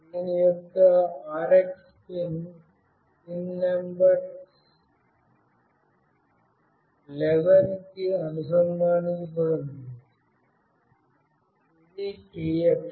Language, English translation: Telugu, And TX pin of this is connected to pin number 10, which is the RX